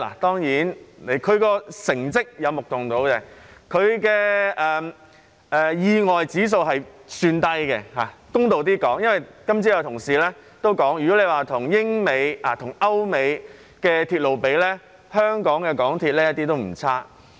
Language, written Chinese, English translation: Cantonese, 當然，港鐵的成績有目共睹，發生意外的指數也算低——公道一點說，今早有同事也提到——如果與歐美的鐵路相比，香港的港鐵一點也不差。, Of course its performance is obvious to all and the index of accidents is considered low . To be fair as a colleague also mentioned it this morning MTRCL in Hong Kong is not bad at all if compared with their European and American counterparts